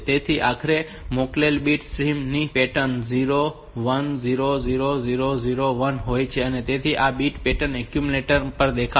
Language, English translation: Gujarati, So, ultimately the pattern, the bit stream that we have sent, so 0 1 0 0 0 1, so this bit pattern will be appearing on to the accumulator